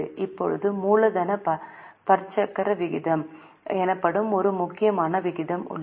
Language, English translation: Tamil, Now, there is one important ratio known as capital gearing ratio